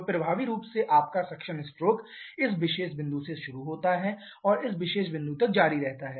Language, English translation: Hindi, So, effectively your suction stroke starts from this particular point and continues till this particular point